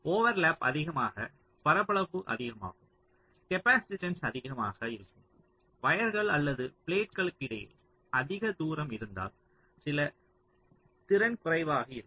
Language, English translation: Tamil, so greater the overlap, greater is the area, higher will be the capacitance, greater the distance between the wires or the plates, lower will be the capacities